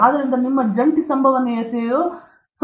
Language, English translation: Kannada, So, your joint probability is 0